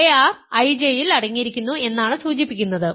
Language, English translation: Malayalam, So, this implies ar is contained in I J ok